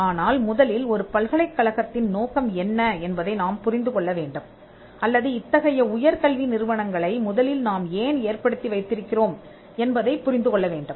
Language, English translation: Tamil, Now, we will look at why these new functions have come, but first we need to understand what’s the purpose of a university was or why did we have higher learning institutions in the first place